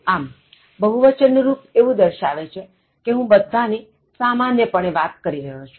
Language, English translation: Gujarati, So, the plural form is indicating I am referring to all in general